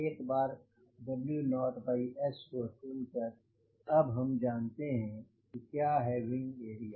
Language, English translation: Hindi, once we selected w naught by s, we now know what is the wing area